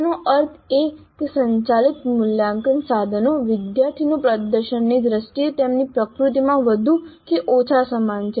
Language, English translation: Gujarati, That means the assessment instruments administered are more or less similar in their nature in terms of extracting the performance of the students